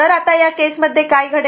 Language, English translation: Marathi, So, now, in that case what will happen